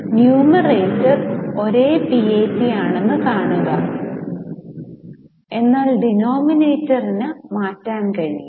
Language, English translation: Malayalam, See, the numerator is same, PAT, but the denominator can change